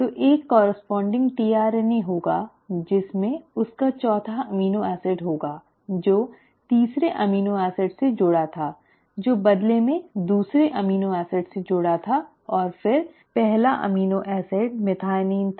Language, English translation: Hindi, So there will be a corresponding tRNA which would have its fourth amino acid which was connected to the third amino acid which in turn was connected to the second amino acid and then the first amino acid which was the methionine